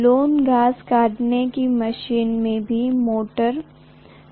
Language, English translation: Hindi, Lawnmower, it has motor